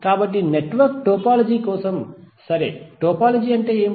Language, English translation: Telugu, So for network topology what is the topology